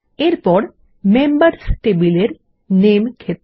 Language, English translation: Bengali, Next is the Name field in the Members table